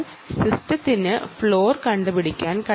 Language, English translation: Malayalam, the system should be able to detect the floor